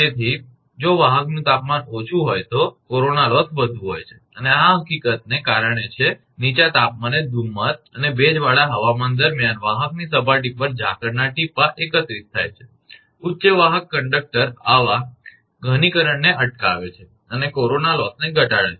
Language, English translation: Gujarati, So, corona loss is larger if the conductor temperature is low and this is due to the fact that at the low temperature the dew drops collect on the conductor surface during fog and humid weather, high conductor current prevents such condensation and reduces corona loss